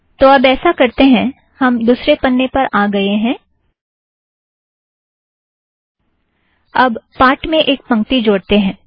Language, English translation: Hindi, Now what we will do is, we went to the second page, now lets add a line to the text